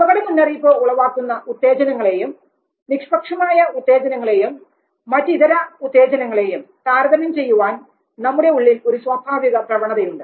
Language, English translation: Malayalam, Now there is an innate tendency in us to prioritize the threat stimuli compared to the neutral stimuli or any other stimuli